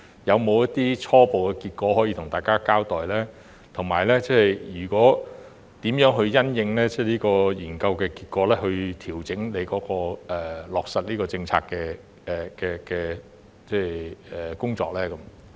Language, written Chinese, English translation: Cantonese, 有否一些初步結果可以向大家交代，以及如何因應研究結果調整他落實政策的工作？, Can he report any preliminary findings to Members; and in response to the findings how will he adjust his work to implement the policy?